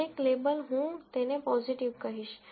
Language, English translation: Gujarati, Every label, I will simply call it positive